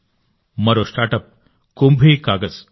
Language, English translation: Telugu, Another StartUp is 'KumbhiKagaz'